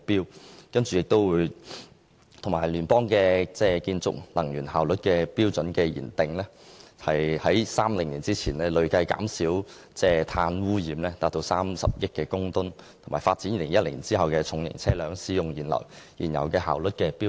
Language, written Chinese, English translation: Cantonese, 藉由設施與聯邦建築能源效率標準的訂定，於2030年前累計至少減少碳污染30億公噸，以及發展2018年後的重型車輛使用燃油的效率標準。, Meanwhile efficiency standards are set for appliances and federal buildings to reduce carbon pollution by at least 3 billion metric tonnes cumulatively by 2030 . Post - 2018 fuel economy standards for heavy - duty vehicles will also be developed